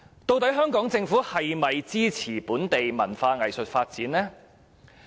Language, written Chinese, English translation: Cantonese, 究竟香港政府是否支持本地文化藝術發展呢？, Does the Government of Hong Kong support the development of local culture and arts?